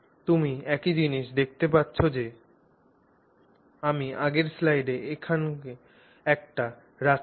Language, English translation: Bengali, So you can see the same thing that I put in the previous slide is what I have put down here